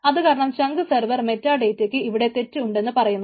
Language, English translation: Malayalam, so the chunk server meta data says that there is a failure